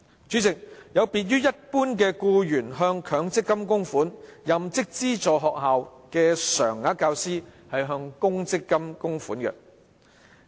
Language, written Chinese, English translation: Cantonese, 主席，一般僱員向強制性公積金供款，但任職資助學校的常額教師向公積金供款。, President common employees contribute to mandatory provident funds but teachers working in aided schools contribute to provident funds